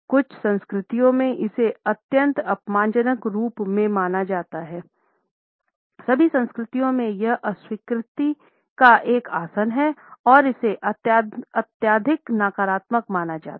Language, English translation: Hindi, In some cultures it is seen as an extremely insulting one; in all cultures nonetheless it is a posture of rejection and it is considered to be a highly negative one